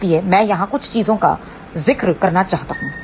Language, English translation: Hindi, So, I just want to mention a few things over here